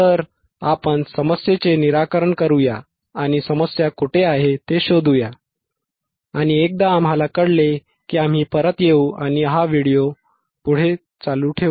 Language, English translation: Marathi, So, let us troubleshoot the problem let us troubleshoot the problem and find out where is the problem lies and once we find out we will get back and continue this video